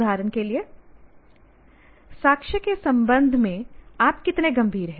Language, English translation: Hindi, How serious are you with respect to evidence